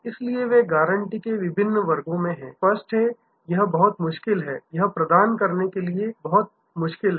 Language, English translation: Hindi, So, they are at this difference classes of guarantees; obviously, it is very, very difficult to ah provide this